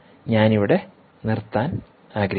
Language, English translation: Malayalam, i would like to stop here